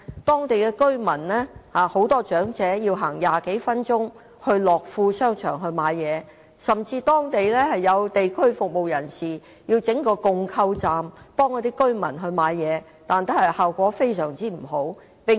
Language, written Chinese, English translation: Cantonese, 當地居民及長者需步行20多分鐘到樂富商場購物，有地區服務人士甚至在區內設置共購站幫助居民購物，但效果不理想。, The residents including elderly people have to walk more than 20 minutes to Lok Fu Place for shopping . Some people providing community services in the district have even set up a co - op to help residents buy goods together but the result is unsatisfactory